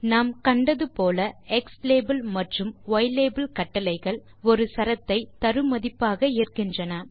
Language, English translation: Tamil, As you can see, xlabel and ylabel command takes a string as an argument